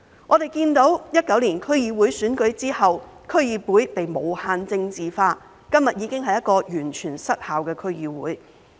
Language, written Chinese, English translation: Cantonese, 我們看到在2019年區議會選舉後，區議會被無限政治化，今天已經是一個完全失效的區議會。, We can see that since the 2019 District Council Election District Councils have been politicized infinitely and become completely dysfunctional